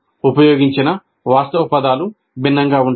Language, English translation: Telugu, The actual terms used are different